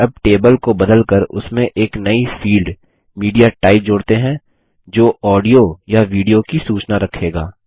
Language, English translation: Hindi, Let us now edit the table to add a new field MediaType which will hold the audio or the video type information